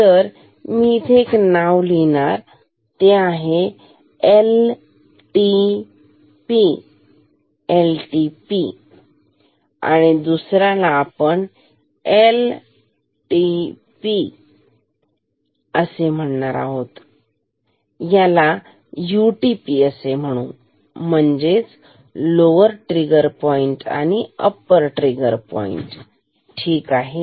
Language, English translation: Marathi, So, let me give it a name let me just give it a name LTP call it LTP and this you call as UTP, lower trigger point and upper trigger point ok